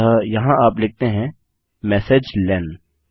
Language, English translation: Hindi, So here you say messagelen